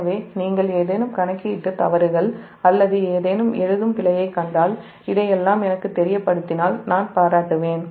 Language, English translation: Tamil, so if you find any calculation mistakes or any writing error, anything i will appreciate if you let me know all this